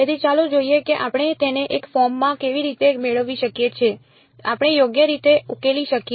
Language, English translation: Gujarati, So, let us see how we can get it into the a form that we can solve right